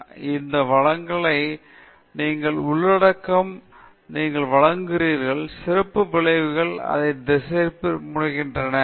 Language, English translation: Tamil, So, in a technical presentation, the focus of the presentation should be the content the technical content that you are presenting; special effects tend to distract from it